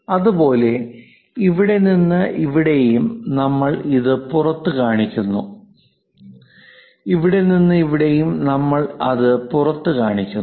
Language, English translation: Malayalam, Similarly, from here to here also we are showing outside and here to here also outside